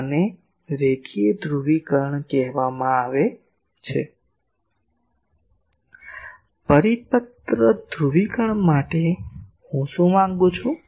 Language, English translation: Gujarati, This is called linear polarisation For circular polarisation; what I demand